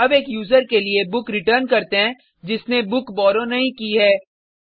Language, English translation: Hindi, Let us now return a book for a user who has not borrowed the book